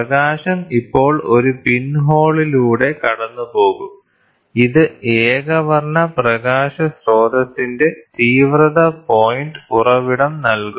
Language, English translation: Malayalam, The light will now pass through a pinhole, giving an intensity point source for monochromatic light